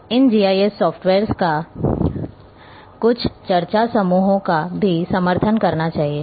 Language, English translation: Hindi, So, your GIS software should support all these things